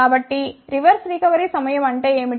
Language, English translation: Telugu, So, what is reverse recovery time